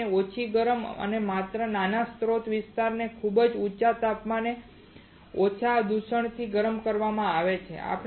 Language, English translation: Gujarati, Less heating to the wafer right has only small source area is heated to a very high temperature and less contamination